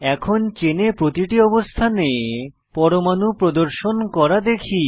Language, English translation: Bengali, Here we have 3 positions to display atoms